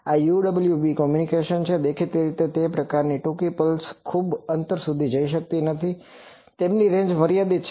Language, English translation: Gujarati, So, this is UWB communication, obviously these type of short pulses they do not go much distances their range is limited